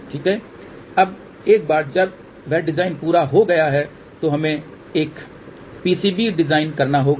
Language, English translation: Hindi, Now, once that design is complete now we have to design a PCB